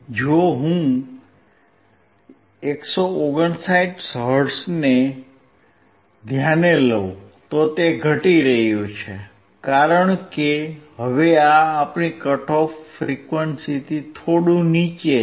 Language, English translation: Gujarati, If I go for 159 hertz, it is decreasing, because now this is slightly below our cut off frequency